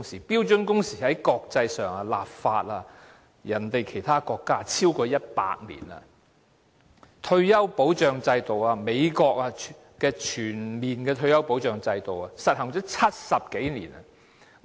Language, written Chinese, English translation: Cantonese, 但是在國際上，其他國家已就標準工時立法超過100年；至於退休保障制度，美國的全面退休保障制度已實行了70多年。, But internationally speaking legislation on standard working hours has been in place in other countries for over a century . As regards retirement protection system the comprehensive retirement protection system has already been implemented in the United States for over 70 years